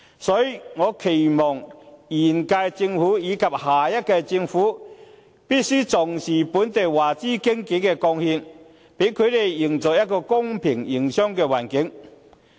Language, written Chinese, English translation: Cantonese, 所以，我期望現屆政府，以及下屆政府必須重視本地華資經紀的貢獻，給他們營造一個公平的營商環境。, Therefore it is our expectation that the current Government and the next Government will attach importance to the contributions of local Chinese - invested brokers and will create a level playing field to them